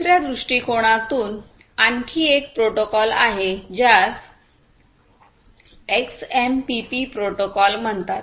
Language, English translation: Marathi, From another point of view there is another protocol which is called the XMPP protocol